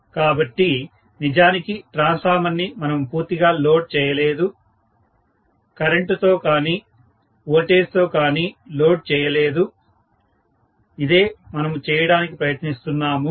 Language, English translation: Telugu, So, we are not really loading the transformer to the fullest extent, neither by the current, or nor by the voltage, that is what we are trying to do